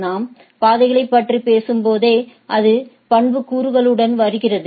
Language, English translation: Tamil, Also when we talk about paths so, it comes with attributes right